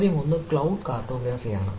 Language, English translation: Malayalam, the query one is the cloud cartography